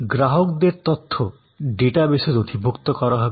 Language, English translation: Bengali, Customer information will be entered into the data base